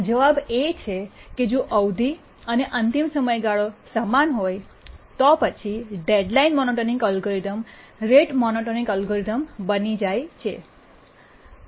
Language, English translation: Gujarati, With little thinking, we can say that if the period and deadline are the same, then of course the deadline monotonic algorithm it simplifies into the rate monotonic algorithm